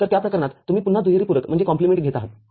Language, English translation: Marathi, In that case you again you are taking double complement